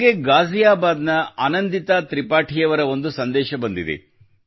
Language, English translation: Kannada, I have also received a message from Anandita Tripathi from Ghaziabad